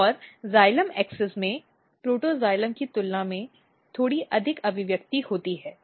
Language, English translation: Hindi, And in xylem axis protoxylem are having slightly more than the metaxylem it looks like